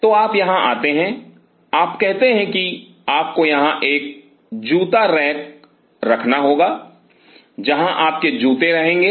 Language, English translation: Hindi, So, you come here will leave you say you have to have a shoe rack here, where will be living your shoes